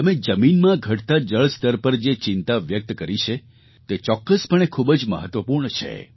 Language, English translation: Gujarati, The concerns you have raised on the depleting ground water levels is indeed of great importance